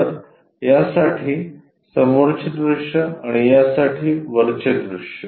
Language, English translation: Marathi, So, the front view for this and the top view for this